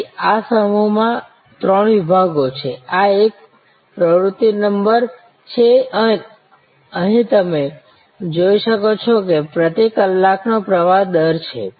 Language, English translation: Gujarati, So, in this block there are three sections, the this one is the activity number, here as you can see here it is the flow rate per hour